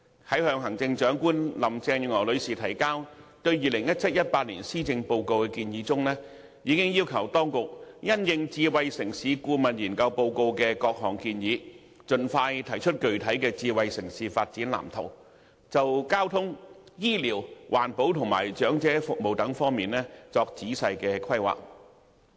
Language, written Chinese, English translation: Cantonese, 在向行政長官林鄭月娥女士提交對 2017-2018 年度施政報告的建議中，我已經要求當局因應《香港智慧城市藍圖顧問研究報告》的各項建議，盡快提出具體智能城市發展藍圖，就交通、醫療、環保及長者服務等方面作仔細規劃。, In the recommendations for the 2017 - 2018 Policy Address submitted to the Chief Executive Mrs Carrie LAM I already requested the authorities to having regard to the various recommendations in the Report of Consultancy Study on Smart City Blueprint for Hong Kong expeditiously put forward a specific blueprint for the development of a smart city and make proper planning for such aspects as transport health care environmental protection and elderly services